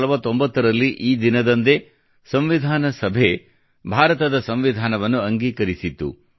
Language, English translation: Kannada, It was on this very day in 1949 that the Constituent Assembly had passed and adopted the Constitution of India